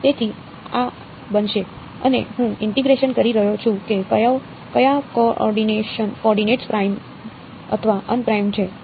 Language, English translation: Gujarati, So, this will become, and I am integrating over which coordinates primed or unprimed